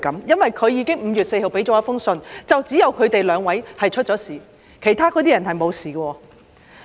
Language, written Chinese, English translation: Cantonese, 因為她在5月4日提交了一封信，指只有他們兩位出事，其他人沒有事。, She submitted a letter on 4 May saying that only the two of them tested positive and not the other people